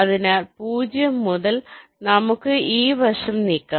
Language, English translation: Malayalam, so from zero we can move this side